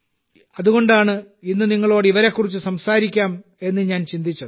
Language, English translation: Malayalam, That's why I thought why not talk to you about him as well today